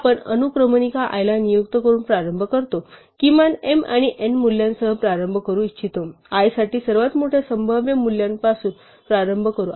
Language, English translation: Marathi, We start by assigning to the index i, the value that we want to start with namely the minimum of m and n, remember we want to start at the largest possible value for i and go backwards